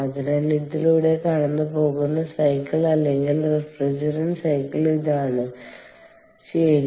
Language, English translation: Malayalam, ok, so this is the cycle, or or the refrigerant cycle which is going through this